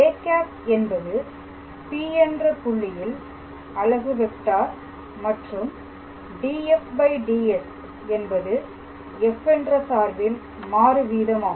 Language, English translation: Tamil, So, a cap is a unit vector at the point P and this df dS is actually denoting our rate of change of the function f